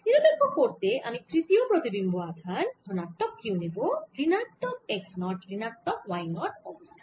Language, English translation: Bengali, to neutralize this i take third image charge which i put at this point, which is plus q at minus x, zero y zero